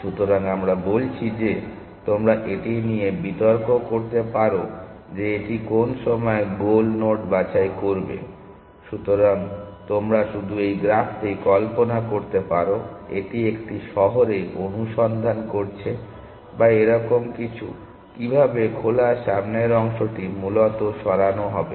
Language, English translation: Bengali, So, we are saying you want to argue that it will necessarily pick the goal node at some point of time just you to imagine this graph just imagine it doing a search in a city or something like that, how the open front yard will move essentially